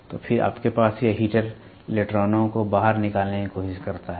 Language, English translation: Hindi, So, then you have this heater tries to eject electrons